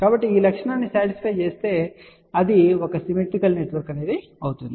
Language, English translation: Telugu, So, if this property is satisfied that means, it is a symmetrical network